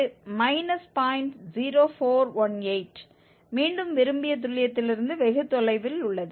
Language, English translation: Tamil, 0418, again far from the desired accuracy